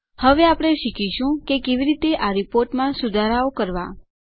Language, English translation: Gujarati, We will now learn how to modify this report